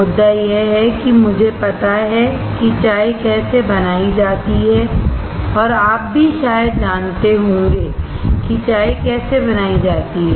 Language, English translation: Hindi, The point is I know how to make a tea, and you probably would know how to make a tea as well